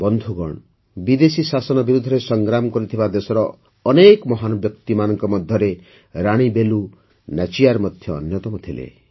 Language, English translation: Odia, Friends, the name of Rani Velu Nachiyar is also one among the many great personalities of the country who fought against foreign rule